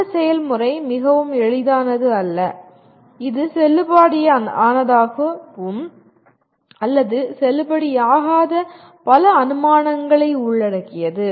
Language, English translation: Tamil, That process is not very simple and which involves many assumptions which may be valid or not valid